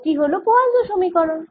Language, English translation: Bengali, this is the poisson's equation